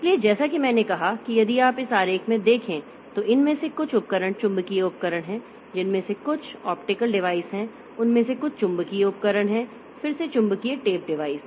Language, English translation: Hindi, So, as I said that if you look into this diagram, some of these devices are magnetic devices, some of them are optical devices, some of their magnetic devices again magnetic tape device